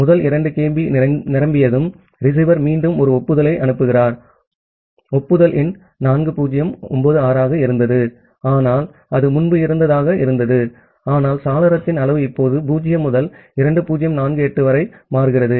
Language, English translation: Tamil, So, when the first 2 kB becomes full, the receiver sends an again an acknowledgement that well the acknowledgement number was 4096 the one which was there earlier, but the window size now changes from 0 to 2048